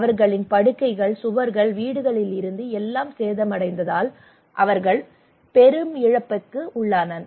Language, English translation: Tamil, Their house starting from their beds, walls, their houses were damaged so they have a lot of losses